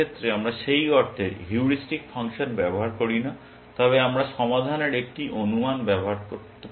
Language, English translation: Bengali, In this case we do not use the heuristic function in that sense, but we use an estimate of the solution